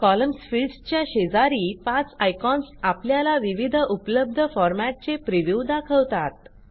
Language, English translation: Marathi, The five icons besides the column field show you the preview of the various formats available